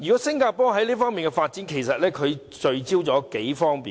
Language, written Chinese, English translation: Cantonese, 新加坡在這方面的發展，聚焦在數方面。, The development in Singapore in this aspect focuses on a number of areas